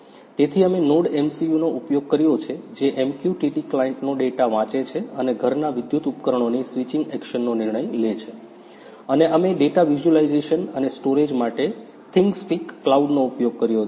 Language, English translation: Gujarati, So, we have used NodeMCU which reads the data from MQTT client and decides the switching action of electrical appliances of home and we have used ThingSpeak cloud for data visualization and storage